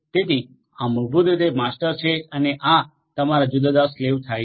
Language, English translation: Gujarati, So, this is basically the master and this becomes your different slaves